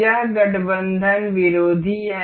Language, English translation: Hindi, This is anti aligned